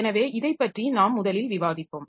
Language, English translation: Tamil, So, this is the first thing that we will discuss